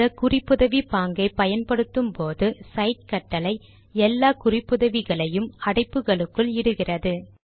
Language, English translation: Tamil, When this referencing style is used, the cite command puts the entire reference within the brackets